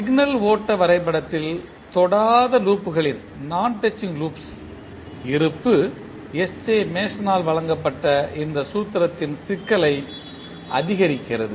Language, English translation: Tamil, The existence of non touching loops in signal flow graph increases the complexity of this formula which was given by S J Mason